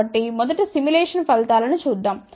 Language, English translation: Telugu, So, first let us see the simulated results